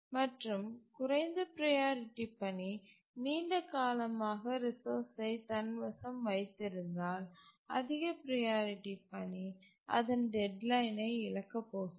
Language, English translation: Tamil, And if the low priority task holds the resource for a long time, the high priority task is of course going to miss its deadline